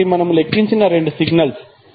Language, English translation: Telugu, So these are the two signals which we have computed